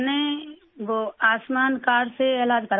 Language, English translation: Urdu, I have got the treatment done with the Ayushman card